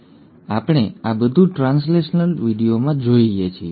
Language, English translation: Gujarati, Now we look at all this in translational video